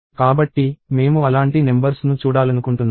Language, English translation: Telugu, So, I want to see numbers like that